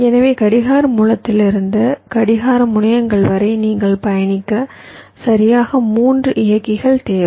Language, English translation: Tamil, so from the clock source to the clock terminals, you need exactly three drivers to be traversed